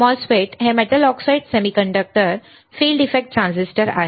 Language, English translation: Marathi, MOSFET's are Metal Oxide Semiconductor Field Effect Transistors